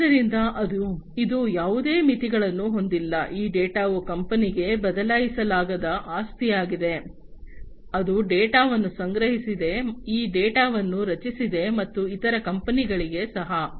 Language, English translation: Kannada, So, it does not have any limits, this data is an invariable asset for the company, that has created this data that has collected the data, and also for the other companies as well